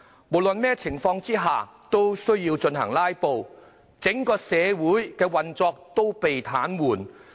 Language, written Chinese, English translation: Cantonese, 無論在任何情況下也要"拉布"，整個社會的運作被癱瘓。, Their filibustering whatever the circumstances may be is paralysing the operation of the entire society